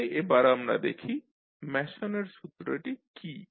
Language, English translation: Bengali, So, let us see what was the Mason rule